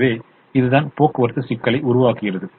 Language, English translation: Tamil, so this is the formulation of the transportation problem